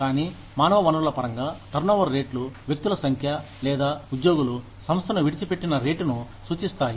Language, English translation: Telugu, But, in human resources terms, turnover rates refer to, the number of people, or the rate at which, the employees leave the firm